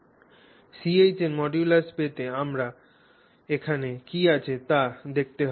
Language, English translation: Bengali, So, to get the modulus of CH we simply have to look at what we have here